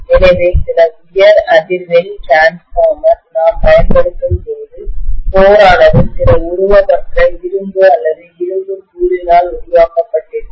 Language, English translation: Tamil, So invariably, when we use some high frequency transformer, the core will be made up of some amorphous iron or powdered iron material